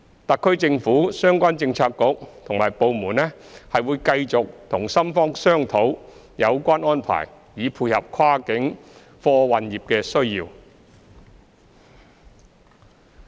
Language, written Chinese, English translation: Cantonese, 特區政府相關政策局和部門會繼續與深方商討有關安排，以配合跨境貨運業的需要。, The relevant Policy Bureaux and departments of the SAR Government will continue to discuss the relevant arrangements with the Shenzhen side to meet the needs of the cross - boundary cargo industry